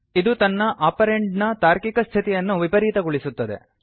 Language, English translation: Kannada, It inverses the logical state of its operand